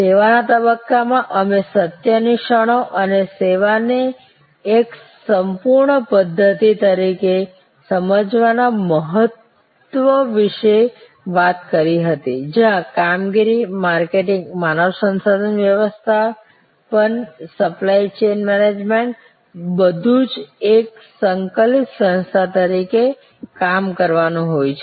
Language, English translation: Gujarati, In the service stage we talked about the moments of truth and the importance of understanding service as a complete system, as a seem less system, where operations, marketing, human resource management, supply chain management have to all work as an integrated entity